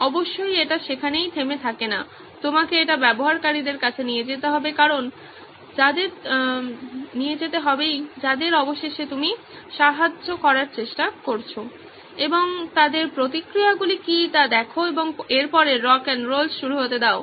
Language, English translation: Bengali, Of course it does not stop there, you need to take it to the users whom eventually you’re trying to help and see what their reactions are and let the rock ‘n’ roll begin after that